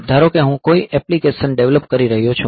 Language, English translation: Gujarati, Say suppose I am developing some application ok